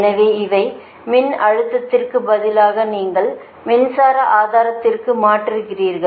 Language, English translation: Tamil, so, instead of voltage, one you transform in to a current source, right